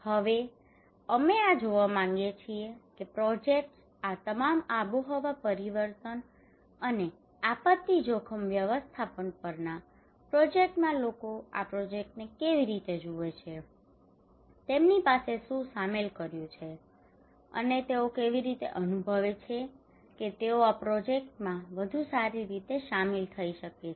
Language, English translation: Gujarati, Now we want to see that in these projects on all this climate change and disaster risk management projects, how people see these projects, what are the involvement they have and how they feel that they can better involve into these projects